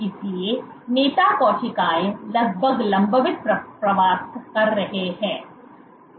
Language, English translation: Hindi, So, leader cells migrate with near constant speeds